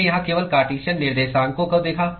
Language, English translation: Hindi, We looked only at Cartesian coordinates here